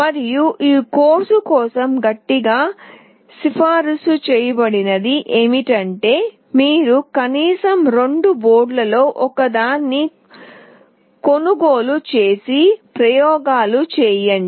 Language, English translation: Telugu, And what is strongly recommended for this course is you purchase at least one of the two boards and perform the experiments